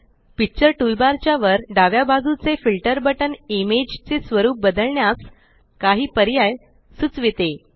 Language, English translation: Marathi, The Filter button at the top left of the Picture toolbar gives several options to change the look of the image